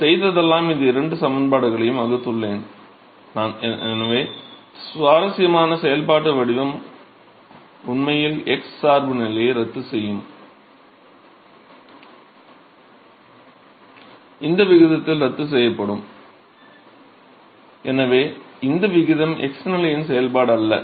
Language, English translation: Tamil, So, all I have done is I have just divided these 2 expressions and so, interestingly the functional form will actually cancel out the x dependence will actually cancel out in this ratio and therefore, this ratio is not a function of the x position